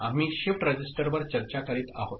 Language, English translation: Marathi, We have been discussing Shift Register